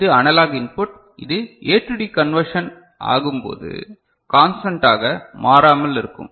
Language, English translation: Tamil, And this is analog input which is remaining constant when you are trying to make use of it in the A to D conversion